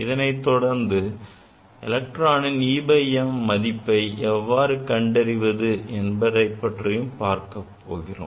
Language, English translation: Tamil, Then we will discuss how to measure, how to find out the e by m; e by m of an electron, ok